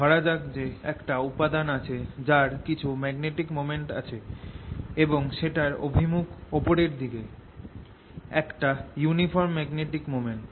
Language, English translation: Bengali, suppose there was a material that has some magnetic moment, let's say in the direction going up, a uniform magnetic moment